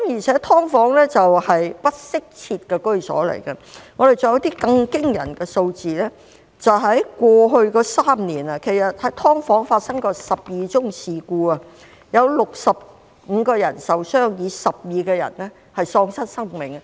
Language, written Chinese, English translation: Cantonese, 此外，"劏房"是不適切居所，還有一些更驚人的數字，過去3年，在"劏房"發生的事故有12宗，有65人受傷 ，12 人喪失生命。, In addition SDUs are inadequate housing and there are some more alarming figures . In the past three years 12 incidents occurred in SDUs 65 people were injured and 12 lost their lives